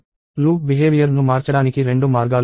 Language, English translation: Telugu, So, there are two ways to change the loop behavior